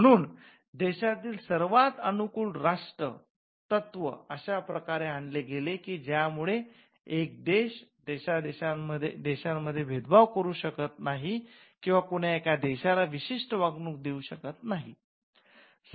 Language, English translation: Marathi, So, the most favoured nation principle brought in a way in which countries could not discriminate other countries or countries could not have a special treatment for one country alone